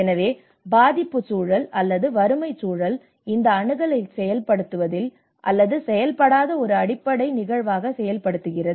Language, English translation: Tamil, So vulnerability context itself or the poverty context itself acts as an underlying phenomenon on to making these access work and do not work